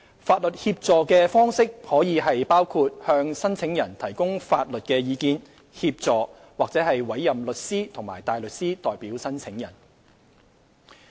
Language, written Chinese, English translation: Cantonese, 法律協助的方式可包括向申請人提供法律意見、協助或委任律師及大律師代表申請人。, Legal assistance may be in the form of advice assistance and representation by a solicitor and counsel